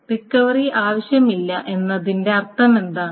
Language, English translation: Malayalam, What does it mean to say no recovery is needed